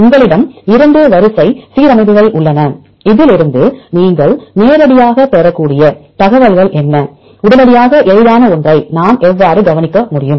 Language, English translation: Tamil, you have different types of alignment you have two sequences, what are the information you can directly get from the two sequences, immediately what can we observe one of the easiest one is